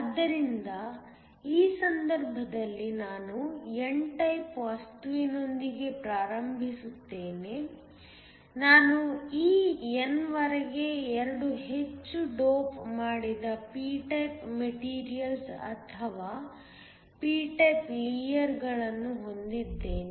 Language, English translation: Kannada, So, in this case I start off with an n type material, I have 2 heavily doped p type materials or p type layers till in this n